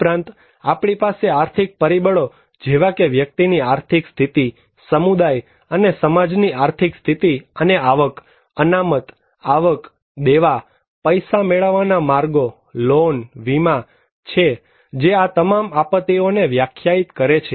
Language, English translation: Gujarati, Also, we have economic factors like economic status of individual, community, and society and income, income reserves, debts, access to credits, loan, insurance they all define the disasters